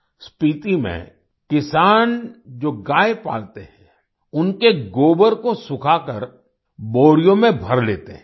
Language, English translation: Hindi, Farmers who rear cows in Spiti, dry up the dung and fill it in sacks